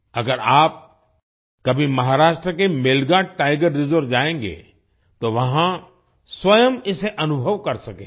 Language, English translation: Hindi, If you ever go to the Melghat Tiger Reserve in Maharashtra, you will be able to experience it for yourself